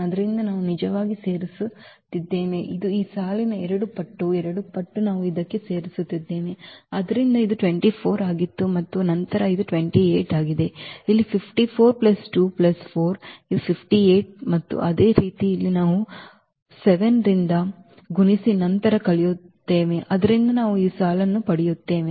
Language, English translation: Kannada, So, we are adding actually it is a two times of two times of this row one we are adding to this one So, this was 24 and then to this is 28, here also 54 plus 2 plus 4 it is a 58 and similarly here we will be multiplying here by 7 and then subtracting, so we will get this row